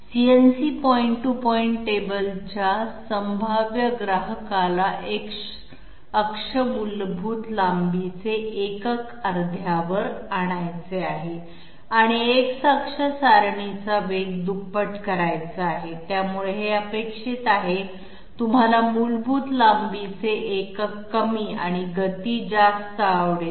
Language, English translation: Marathi, A prospective customer of a CNC point to point table wants X axis basic length unit to be halved and X axis table speed to be doubled, so this is quite expected you would like basic length unit to be less and speed to the higher